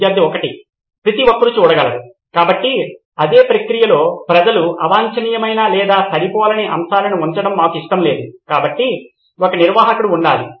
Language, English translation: Telugu, Everyone can see, so in the same process we do not want people putting up unrequired or unmatchable content so there should be a admin